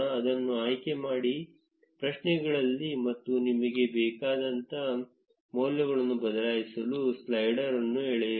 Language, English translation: Kannada, Select it in the queries and drag the slider to change the values according to what you want